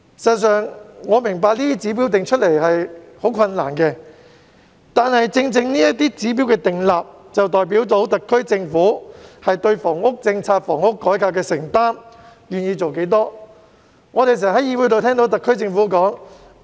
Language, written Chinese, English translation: Cantonese, 事實上，我明白這些指標難以釐定，但這些指標的訂立，正正代表特區政府對房屋政策和房屋改革有多少承擔、願意做多少工作。, In fact I understand that it is difficult to set these standards but the formulation of these standards precisely represents how committed the SAR Government is to the housing policy and housing reform and how much work it is willing to do